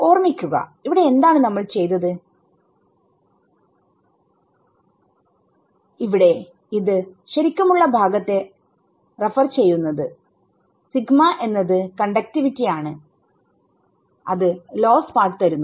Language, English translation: Malayalam, So, remember here in what we have done your epsilon here is referring only to the real part and sigma is the conductivity that is giving the loss part